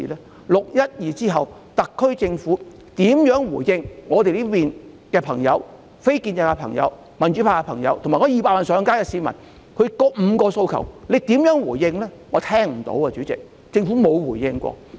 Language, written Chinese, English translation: Cantonese, 在"六一二"之後，特區政府如何回應我們非建制派、民主派的朋友，以及200萬上街的市民，政府如何回應這5項訴求呢？, After 612 how did the SAR Government respond to us friends from the non - establishment camp and the pro - democracy camp as well as the 2 million people who took to the streets? . How did the Government respond to our five demands?